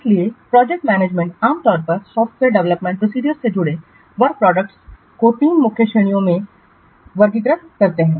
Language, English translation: Hindi, So, the project managers normally they classify the work products associated with a software development process into three main categories